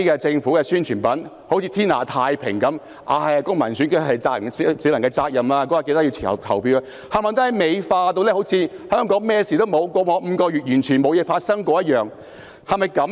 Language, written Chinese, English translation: Cantonese, 政府的宣傳品便彷如天下太平般，只提及選舉是公民責任，市民應在選舉當天前往投票，把香港美化成彷如過去5個月不曾發生任何事情般。, As shown by the Governments publicity materials it looks like Hong Kong is now at peace . Merely urging people to cast their votes on the election day to fulfil their civic responsibility they have whitewashed the chaos in Hong Kong in such a way as though nothing had ever happened over the past five months